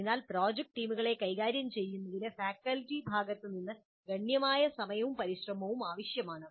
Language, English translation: Malayalam, So handling the project teams, which would be very large in number, would require considerable time and effort from the faculty side